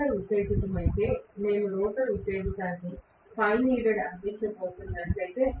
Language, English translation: Telugu, If the rotor excitation, so if I am going to have the rotor excitation providing phi needed